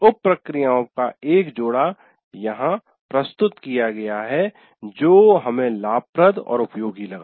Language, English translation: Hindi, And here we will present you one set of sub processes that we found the advantages and useful